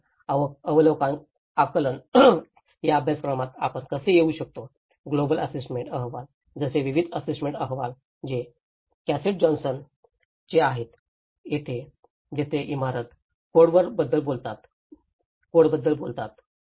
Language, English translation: Marathi, And assessments, how we come across in this course, various assessment reports like global assessment reports which is by Cassidy Johnson, where they talk about the building codes